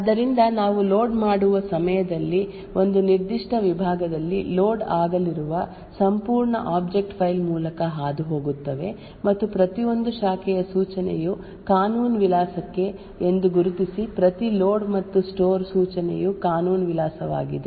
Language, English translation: Kannada, So what we do is at the time of loading pass through the entire object file which is going to be loaded in a particular segment so and identify that every branch instruction is to a legal address, every load and store instruction is also to a legal address